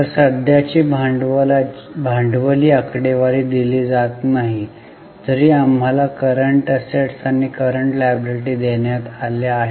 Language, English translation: Marathi, So, now the working capital figure is not given, although we have been given current assets and current liabilities